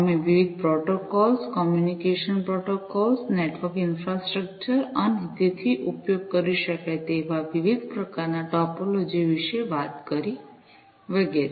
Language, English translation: Gujarati, We talked about the different protocols, the communication protocols, the network infrastructure, and so on the different types of topologies that could be used, and so on